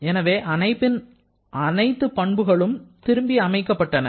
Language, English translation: Tamil, So, all system properties are restored